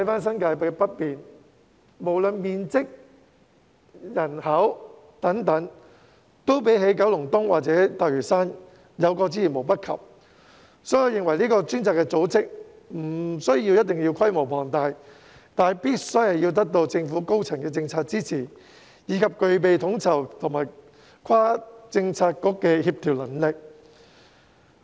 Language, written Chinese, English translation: Cantonese, 新界北面的面積和人口均較九龍東或大嶼山有過之而無不及，所以我認為相關的專責組織不一定要規模龐大，但必須得到政府高層的政策支持，以及具備統籌和跨政策局的協調能力。, Given that northern New Territories is bigger than Kowloon East or Lantau in terms of area and population the relevant designated task force may not necessarily be large in scale . However it must gain the policy support of the senior government officials and is capable of overseeing and coordinating various Policy Bureaux